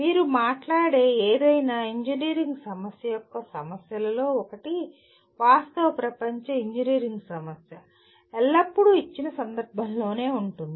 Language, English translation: Telugu, One of the issues of any engineering problem that you talk about, a real world engineering problem is always situated in a given context